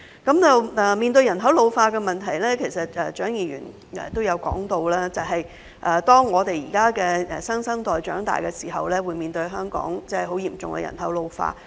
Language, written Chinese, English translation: Cantonese, 關於人口老化問題，蔣議員也提到，當我們現在的新生代長大後，會面對香港嚴重人口老化的問題。, Regarding the problem of ageing population as Dr CHIANG has also mentioned when the present - day new generation grows up it will face the serious problem of ageing population in Hong Kong